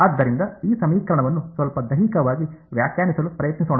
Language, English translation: Kannada, So, let us try to interpret this equation a little bit physically